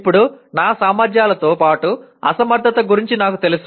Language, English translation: Telugu, Now, I am aware of my abilities as well as inabilities